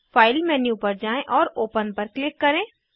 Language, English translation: Hindi, Go to File menu and click on Open